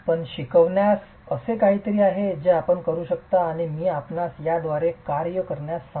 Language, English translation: Marathi, An instructive exercise is something that you can do and I will ask you to work through this